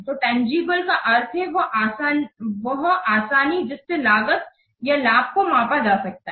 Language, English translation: Hindi, So, tangibly means the easy with which cost or benefits can be measured